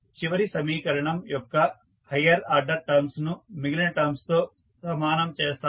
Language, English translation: Telugu, We will equate the highest order term of the last equation to the rest of the terms